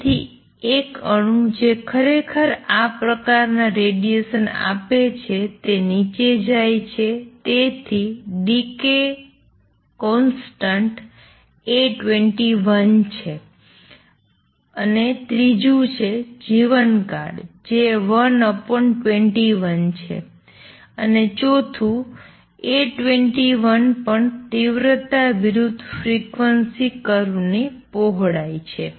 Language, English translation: Gujarati, So, an atom actually give out this kind of radiation is goes down then the decay constant is A 21 and third therefore, lifetime is 1 over A 21 and fourth A 21 is also the width of the intensity versus frequency curve